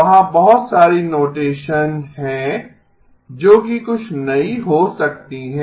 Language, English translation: Hindi, There is a lot of notation that is that may be somewhat new